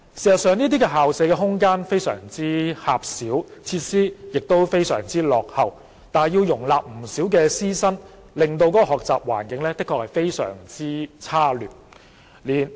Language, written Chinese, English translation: Cantonese, 事實上，這些校舍的空間非常狹小，設施十分落後，但要容納不少師生，學習環境因而十分差劣。, As a matter of fact the premises of such schools have very limited space and outdated facilities but need to accommodate a large number of teachers and students rendering the learning environment extremely poor